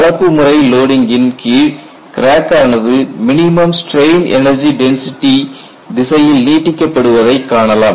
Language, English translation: Tamil, And in this crack under mixed loading will extend in the direction of minimum strain energy density